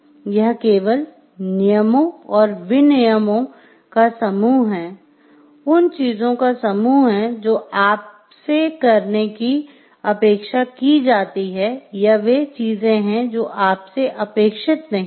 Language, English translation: Hindi, It only states given the set of rules and regulations this is the set of things that you are expected to do and, these are the things that you are expected not to do